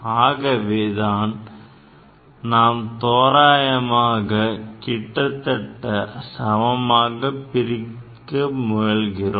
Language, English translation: Tamil, We will try to divide approximately, closest equal